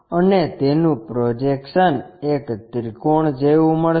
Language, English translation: Gujarati, And its projection, as a triangle